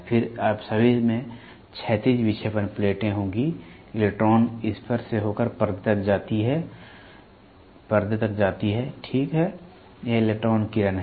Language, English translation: Hindi, Then you will all have horizontal deflecting plates, the electron moves through this to the screen, ok; this is the electron beam